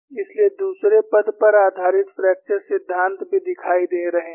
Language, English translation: Hindi, So, fracture theories based on second term also are appearing